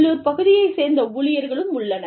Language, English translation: Tamil, There is also the staff, from the local area